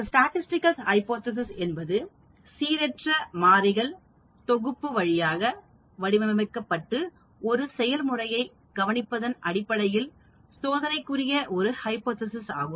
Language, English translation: Tamil, A statistical hypothesis is a hypothesis that is testable on the basis of observing a process that is modeled via a set of random variables